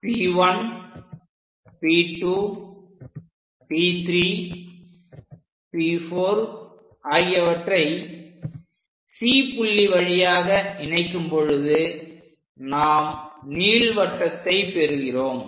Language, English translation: Tamil, Once we join this P 1, P 2, P 3, and so on, these are the points P 1, P 2, P 3, and P 4 via C; we will get this ellipse